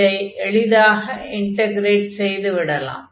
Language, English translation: Tamil, So, we can integrate this easily